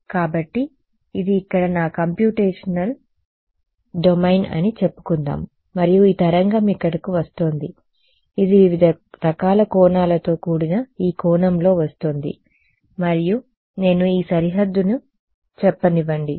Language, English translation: Telugu, So, let us say that this is my computational domain over here and this wave is coming over here may be it's coming at this angle whatever variety of different angels and I am talking about let us say this boundary